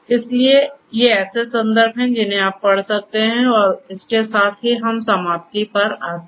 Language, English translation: Hindi, So, these are the references that you could go through and with this we come to an end